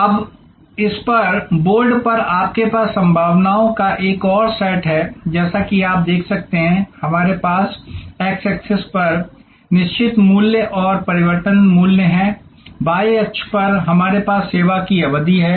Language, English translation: Hindi, Now, on this, on the board you have another set of possibilities, as you can see here we have fixed price and variable price on the x axis, on the y axis we have the duration of the service